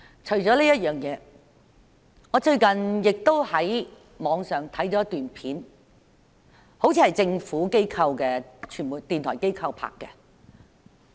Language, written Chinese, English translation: Cantonese, 除此之外，我最近也在網上看了一段影片，那好像是政府的電台傳媒機構拍攝的。, In addition I recently watched a video on the Internet which seems to be shot by the Governments radio media agency